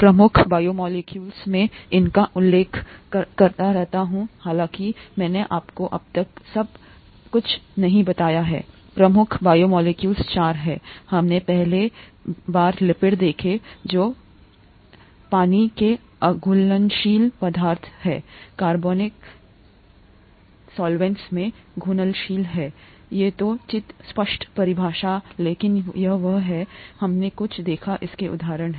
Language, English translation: Hindi, The major biomolecules, I keep mentioning this although I haven’t told you everything so far, the major biomolecules are four, we first saw lipids which are water insoluble substances that are soluble in organic solvents, reasonably vague definition but that’s what it is, we saw some examples of it